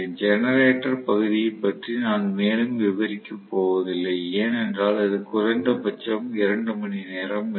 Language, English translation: Tamil, I am not going to elaborate further on the generator region because that will take it is own 2 hours at least